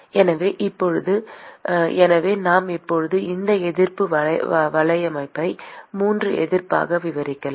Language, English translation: Tamil, So, now, therefore, we can now extend this resistance network into 3 resistances